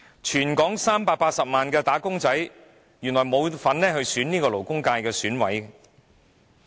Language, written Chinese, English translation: Cantonese, 全港380萬的"打工仔"原來沒有份選出勞工界選委。, The 3.8 million wage earners in Hong Kong do not have the right to vote for their representatives in the Labour Constituency